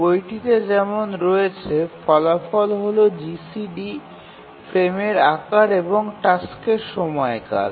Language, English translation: Bengali, The result is GCD, the frame size and the period of the task